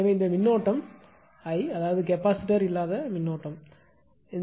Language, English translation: Tamil, So, this current is I that is this current without any capacitor